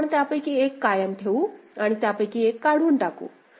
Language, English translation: Marathi, So, we retain one of them and eliminate the other